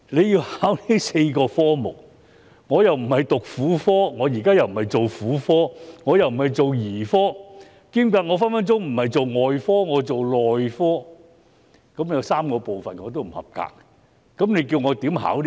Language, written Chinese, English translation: Cantonese, 要考這4科，若我既不是讀婦科，現在又不是做婦科、兒科或外科，我只是做內科，我便會有3個科目不及格，試問我如何通過考試呢？, If I neither study Gynaecology nor practise in Gynaecology Paediatrics or Surgery and I only practise in Medicine it is likely that I will fail in three disciplines